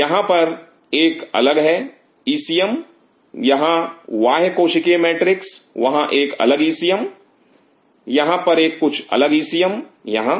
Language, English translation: Hindi, There is a different ECM here extra cellular matrix there is a different ECM here there is a different ECM here